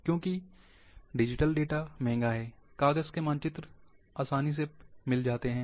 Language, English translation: Hindi, Because digital data is expensive, paper maps are easier